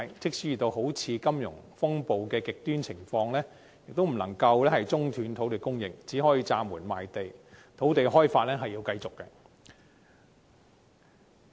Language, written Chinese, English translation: Cantonese, 即使遇到如金融風暴等極端情況，亦不能中斷土地供應，即使要暫緩賣地，土地開發仍要繼續。, Even in the event of such an extreme situation as the financial crisis land supply should not be suspended . Land development should continue even if a moratorium on land sale is implemented